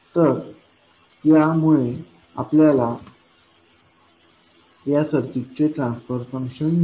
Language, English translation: Marathi, So, with this we get the transfer function of this circuit